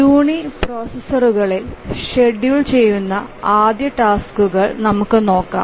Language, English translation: Malayalam, Let's look at first task scheduling on uniprocessors